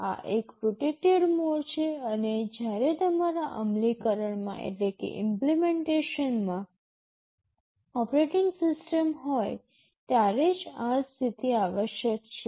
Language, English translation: Gujarati, This is a protected mode and this mode is required only when there is an operating system in your implementation